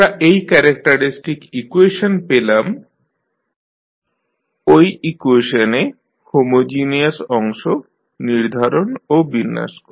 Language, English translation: Bengali, We obtain this characteristic equation by setting the homogeneous part of the equation